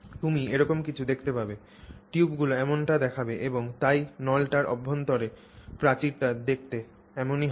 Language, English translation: Bengali, You will see some something like that, tubes that look like that and so the inner wall of the tube will look like that